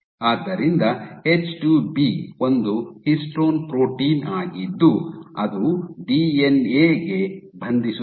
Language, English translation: Kannada, So, H2B is a histone protein which is bind, which is not bind to the DNA